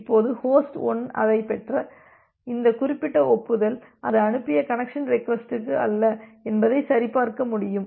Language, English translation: Tamil, Now, host 1 can verify that this particular acknowledgement that it has received it is not for a connection request that it has sent